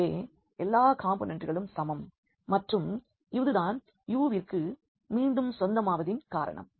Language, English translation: Tamil, So, all three components are equal and that that is the reason it must belong to this U again